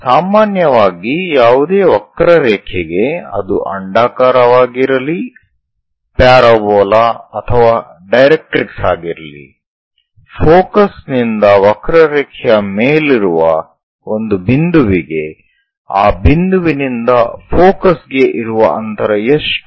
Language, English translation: Kannada, Usually for any curve, whether it is ellipse parabola or directrix, from focus to a point on the curve, it can be this point this point or this point one of the point